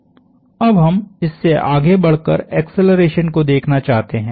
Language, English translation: Hindi, Now we want to go on and look at accelerations